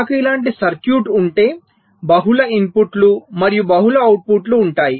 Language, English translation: Telugu, but if i have a circuit like this, well, lets say, there are multiple inputs and also multiple outputs